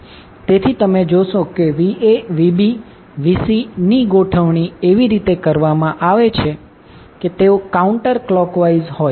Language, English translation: Gujarati, So, Va Vb Vc you will see will be arranged in such a way that it is counterclockwise